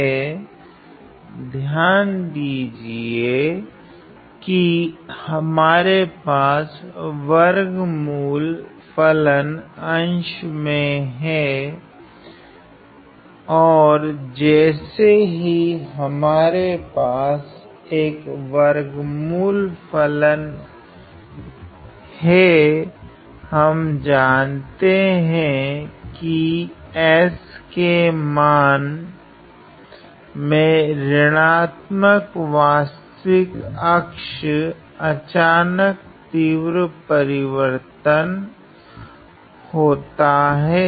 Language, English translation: Hindi, Because, notice that, we have a square root function sitting in the numerator and the moment we have a square root function; we know that, there is a sudden jump of the values of s along the negative real axis